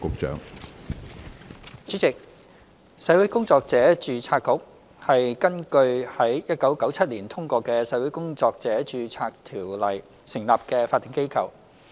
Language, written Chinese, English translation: Cantonese, 主席，社會工作者註冊局是根據於1997年通過的《社會工作者註冊條例》成立的法定機構。, President the Social Workers Registration Board the Board is a statutory body established under the Social Workers Registration Ordinance Cap . 505 enacted in 1997